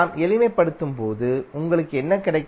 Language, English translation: Tamil, When you simplify, what you will get